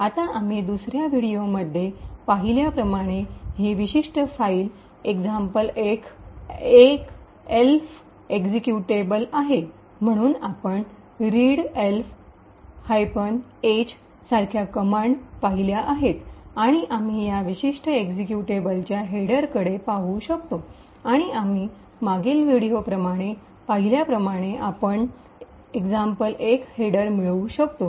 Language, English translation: Marathi, Now as we seen in the second video today this particular file the example 1 is an elf executable, so we have seen commands such as readelf minus H and we can look at the header of this particular executable and as we have seen in the previous video we would obtain the header for example 1